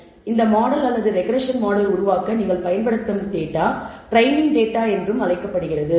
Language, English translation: Tamil, So, the data that you use in building this model or regression model is also called the training data